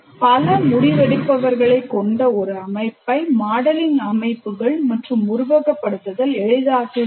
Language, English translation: Tamil, So it facilitates modeling systems and simulating where it consists of multiple decision makers